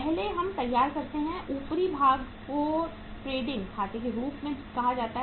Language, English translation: Hindi, First we prepare, the upper part is called as a trading account